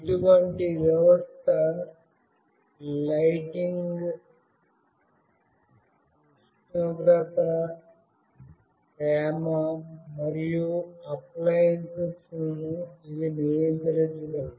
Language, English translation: Telugu, Such a system can control lighting, temperature, humidity, and appliances